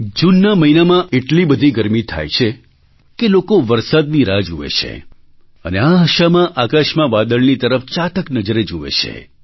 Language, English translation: Gujarati, The month of June is so hot that people anxiously wait for the rains, gazing towards the sky for the clouds to appear